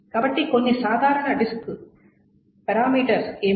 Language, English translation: Telugu, So, what are some typical disk parameters